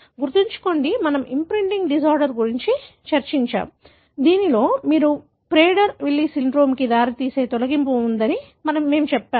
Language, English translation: Telugu, Remember, we discussed an imprinting disorder, wherein we said that you have deletion leading to Prader Willisyndrome